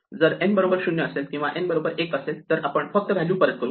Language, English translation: Marathi, So, if n is 0 return 0, if n is 1, we return 1